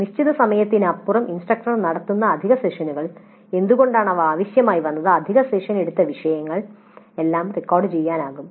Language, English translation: Malayalam, Then additional sessions if they are conducted by the instructor beyond the scheduled hours, why they were required and on what topics the additional sessions were taken up, that all can be recorded